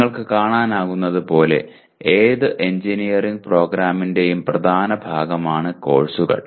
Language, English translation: Malayalam, Courses constitute the dominant part of any engineering program as you can see